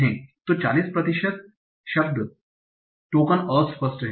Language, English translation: Hindi, So 40% of word tokens are ambiguous